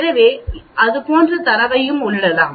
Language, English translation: Tamil, So we can enter the data like that also